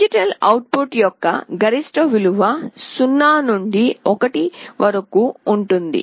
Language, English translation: Telugu, The maximum value the range of the digital output is 0 to 1